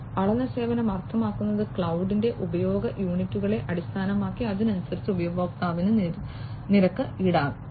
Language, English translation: Malayalam, Measured service means like you know based on the units of usage of cloud, the user is going to be charged accordingly